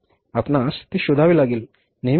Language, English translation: Marathi, We'll have to look for that